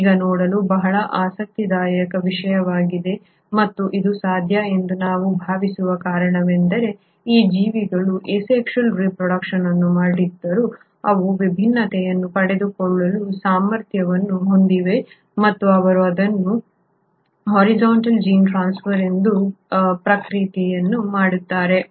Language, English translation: Kannada, Now that is a very interesting thing to look at and the reason we think it is possible is because though these organisms do not reproduce sexually they do have a potential to acquire variation and they do this by the process called as horizontal gene transfer